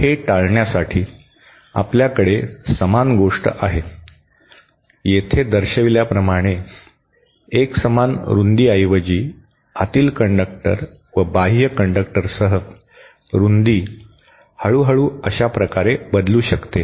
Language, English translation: Marathi, So, to avoid that, what could be done is we have our same thing, same outer conductor with the inner conductor instead of instead of being of the uniform width as shown here, the width can slowly change like this